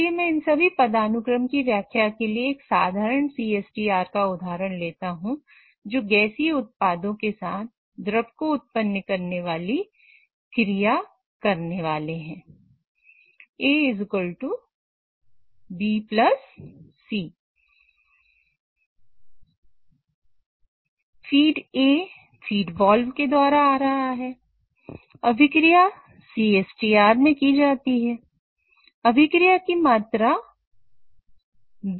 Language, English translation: Hindi, So, let me explain all these hierarchies for a simple example of a CSTR, which is going to carry out a reaction which is going to generate some gaseous product along with a liquid product